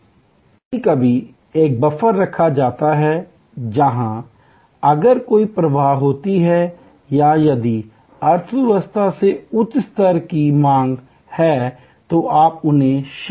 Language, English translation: Hindi, Sometimes a buffer is kept, where if there is an over flow or if higher level of demand from the economy then you shift them to the